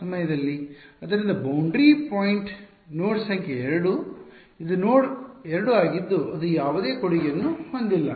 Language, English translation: Kannada, So, boundary point node number 2 this is node 2 that has no contribution